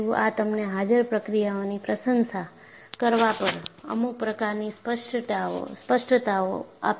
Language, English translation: Gujarati, This will give you some kind of a clarity, on appreciating the processes involved